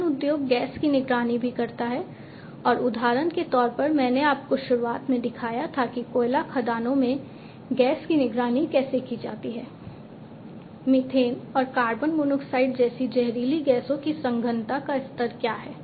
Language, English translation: Hindi, In the mining industry also gas monitoring and the example that I had shown you at the very beginning gas monitoring in coal mines etc monitoring the level of what the concentration of poisonous gases like methane, carbon monoxide etc